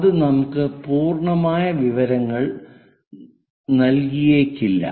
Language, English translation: Malayalam, And that may not give us complete information